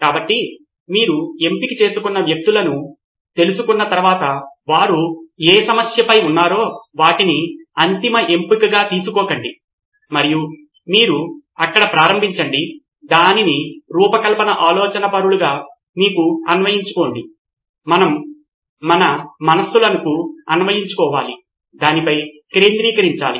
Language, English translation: Telugu, So once you get to know the people who are going through, whatever they are going through, don’t take them as the ultimate word and that’s where you start but you can apply as design thinkers, we need to apply our own mind on what is going on